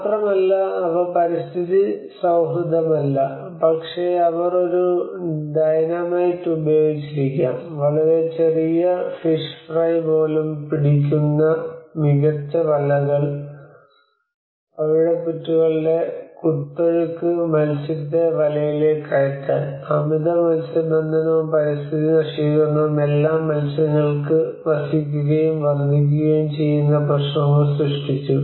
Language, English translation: Malayalam, And they are not necessarily environmentally friendly, but they might have used a dynamite, the fine nets that catch even a very small fish fry, and the pounding of the coral reefs to drive fish into the nets, all created problems of overfishing and the destruction of the environment when the fish live where the fish live and multiply